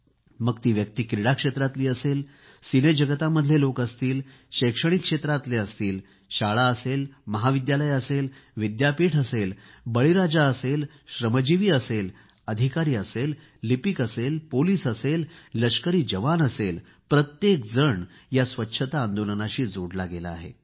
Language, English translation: Marathi, Whether it be people from the sports world, academicians, schools, colleges, universities, farmers, workers, officers, government employees, police, or army jawans every one has got connected with this